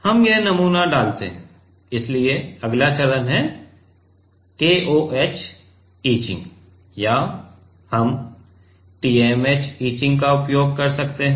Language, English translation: Hindi, We put this sample, so the next next step is KOH etching or let us say we can use TMAH etching